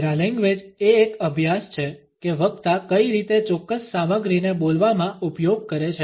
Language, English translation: Gujarati, Paralanguage is the study of how a speaker verbalizes a particular content